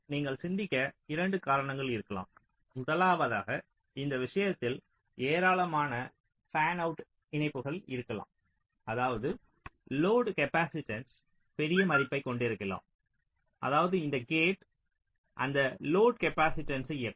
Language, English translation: Tamil, first is that in this case there can be a large number of fanout connections, which means you may be having a large value of load capacitance, which means this gate will be driving those load capacitance